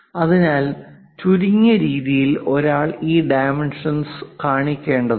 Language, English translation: Malayalam, So, minimalistic way one has to show these dimensions